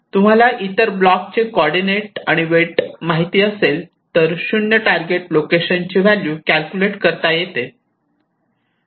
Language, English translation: Marathi, so, if i know the coordinates of all other blocks and their weights of connections, so we can calculate the value of the zero force target location